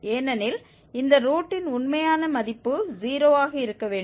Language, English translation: Tamil, And the smallest positive root was something 0